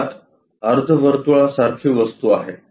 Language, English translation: Marathi, Inside there is a semi circle kind of thing